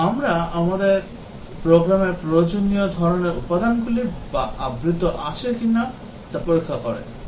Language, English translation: Bengali, And, we check whether the required types of elements in the program are covered